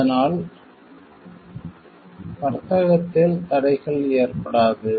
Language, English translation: Tamil, So, that the barriers are trade does not happen